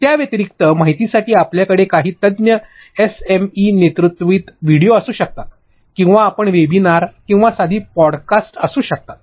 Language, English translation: Marathi, Other than that, for information sake, you can have a subject matter expert SME led videos or you can have webinars or simple podcasts